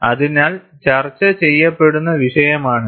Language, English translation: Malayalam, So, that is the issue, that is being discussed